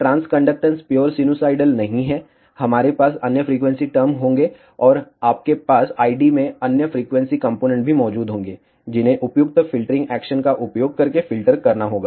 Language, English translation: Hindi, The transconductance being a not pure sinusoidal, we will contain other frequency terms, and you will also have other frequency components present in the I D, which have to be filtered out using appropriate filtering actions